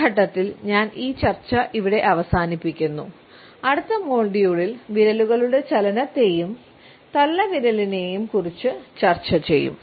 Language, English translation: Malayalam, I would close this discussion at this point, in our next module we will take up the movement of the fingers as well as thumb